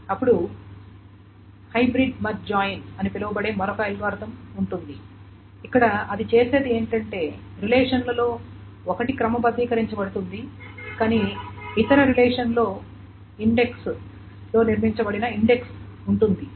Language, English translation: Telugu, Then there is another algorithm called the hybrid merge join where what it does is that the one of the relations is sorted but the other relation has a index built into it